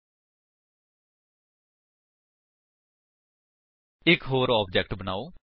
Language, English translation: Punjabi, Now, let us create one more object